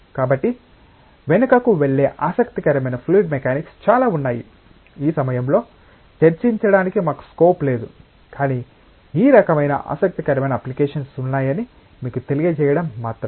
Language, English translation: Telugu, So, there is a lot of interesting fluid mechanics that goes behind, we do not have scope for discussing that at this moment, but it is just to let you know that these kinds of interesting applications to exist